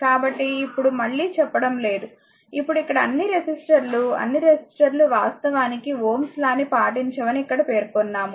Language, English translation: Telugu, So, not telling it again right, now, it is what mentioning here that the all the resistors all the all that here that not all the resistors actually obey Ohm’s law, right